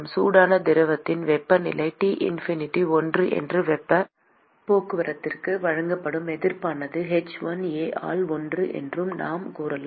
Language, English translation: Tamil, ; then we can say that the temperature of the hot fluid is T infinity 1 and the resistance offered for heat transport is one by h1A